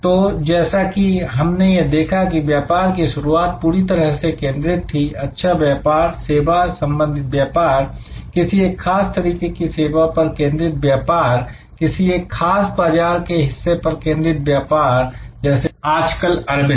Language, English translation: Hindi, So, as we see here, that businesses start as fully focused, good businesses, service businesses, focused on a particular service, focused on a particular market segment over time like Arvind today